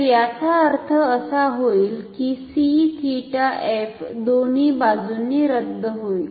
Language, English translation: Marathi, So, this will imply this c theta f will cancel from both sides